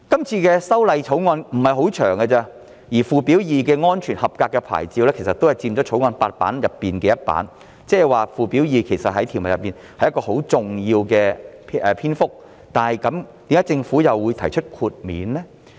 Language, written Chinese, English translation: Cantonese, 《條例草案》的篇幅不太長，而附表 2" 安全合格牌照"佔《條例草案》8頁的其中一頁，即附表2也佔很重要的篇幅，但為何政府又會提出豁免呢？, The Bill is not very long and Schedule 2 Safety Approval Plate occupies one of the eight pages of the Bill which means that Schedule 2 is also a very important part of the context but then why has the Government proposed an exemption